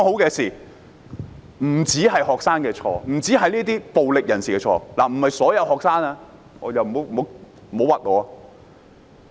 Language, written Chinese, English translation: Cantonese, 這不只是學生的錯，亦不只是暴力人士的錯——我不是指所有學生，不要冤枉我。, This is not merely the fault of students only or the fault of rioters―I am not referring to all students do not get me wrong